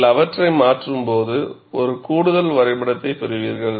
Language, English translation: Tamil, When you change them, you will get one additional graph